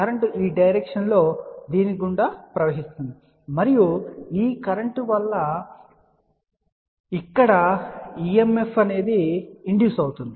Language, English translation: Telugu, The current is flowing through this in this direction and there will be induced EMF which will be coming through this one here